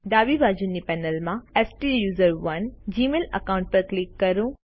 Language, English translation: Gujarati, From the left panel, click on the STUSERONE gmail account